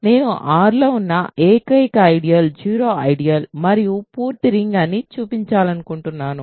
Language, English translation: Telugu, So, I want to show that the only ideals in R are the zero ideal and the full ring